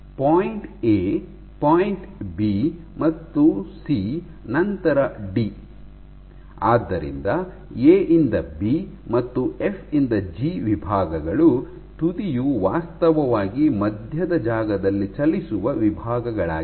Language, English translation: Kannada, So, at point A, point B and C, then D, so A to B and F to G are sections where the tip is actually traveling through the intervening space